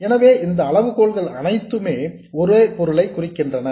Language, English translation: Tamil, So all this criteria mean the same thing